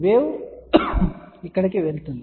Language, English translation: Telugu, Wave going over here